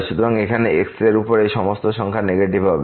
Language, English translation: Bengali, So, all these numbers here 1 over will be negative